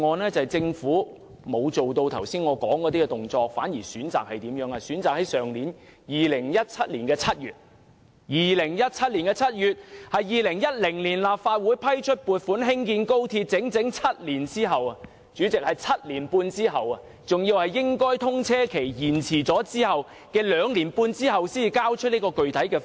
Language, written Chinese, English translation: Cantonese, 原因是政府沒有採取我剛才提及的行動，反而在2017年7月，即2010年立法會批出撥款興建高鐵整整7年半之後，或原本通車日期延遲兩年半之後，才交出"一地兩檢"具體方案。, The reason is that the Government had failed to take the actions I mentioned just now but instead presented a specific proposal on the co - location arrangement only in July 2017 a good seven and a half years after the Legislative Council granted the funding approval for building XRL in 2010 or two and a half years after the original scheduled date of its commissioning